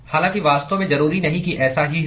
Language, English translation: Hindi, However, in reality that need not necessarily be the case